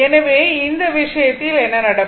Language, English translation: Tamil, So, in this case what will happen